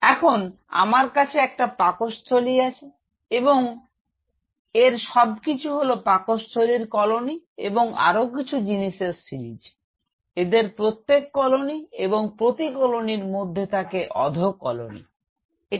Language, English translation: Bengali, Now, I have this Stomach and everything this is the say Stomach colony then the series of things, each one of them are colonies and within colonies there are sub colonies how is it